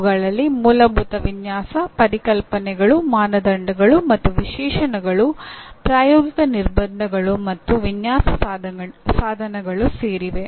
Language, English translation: Kannada, They include Fundamental Design Concepts, Criteria and Specifications, Practical Constraints, and Design Instrumentalities